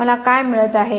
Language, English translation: Marathi, What am I getting